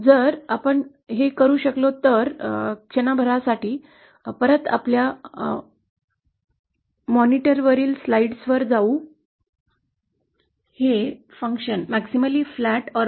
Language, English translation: Marathi, If we can, for a moment go back to slides on the monitor